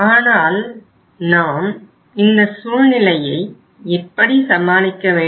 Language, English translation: Tamil, But we will have to deal with the situation